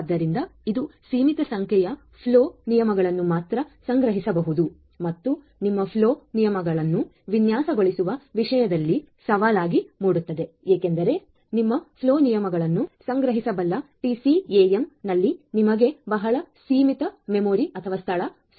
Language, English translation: Kannada, So, this only a limited number of flow rules can be stored and that makes the life challenging about how you are going to design your flow rules and so on, because you have very limited space in the TCAM which can store your flow rules